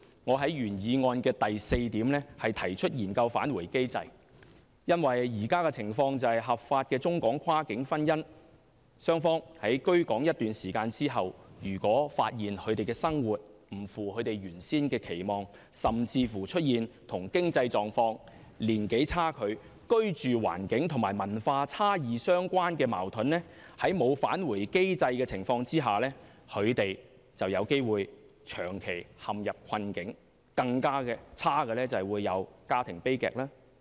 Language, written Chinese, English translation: Cantonese, 我在原議案的第四點提出研究"返回機制"，因為現時的情況是合法的中港跨境婚姻，雙方居港一段時間後，如果發現生活不符原先期望，甚至出現與經濟狀況、年齡差距、居住環境和文化差異相關的矛盾，在沒有"返回機制"的情況下，他們便有機會長期陷入困境，更差的是會發生家庭悲劇。, I propose in paragraph 4 of my original motion that a study on the introduction of a return mechanism should be conducted . At present when legally married couples of cross - boundary marriages find that the life in Hong Kong is not what they have expected after settling down in Hong Kong for some time or when they have run into troubles such as financial troubles disparity in age living conditions or cultural differences it is most likely that they will be caught in an eternal predicament if a return mechanism is not available and the worse scenario is a domestic tragedy